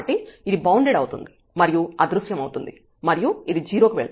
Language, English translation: Telugu, So, this is something bounded, so this will vanish this will go to 0